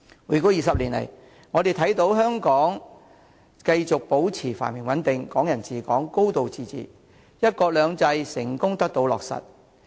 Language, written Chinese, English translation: Cantonese, 回歸20年，香港繼續保持繁榮穩定，"港人治港"、"高度自治"，"一國兩制"成功得到落實。, In the two decades after the reunification Hong Kong has remained prosperous and stable and Hong Kong people administering Hong Kong a high degree of autonomy and one country two systems have been implemented successfully